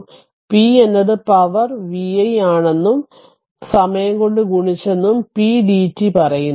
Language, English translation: Malayalam, So, it is p into dt say p is the power v i and multiplied by time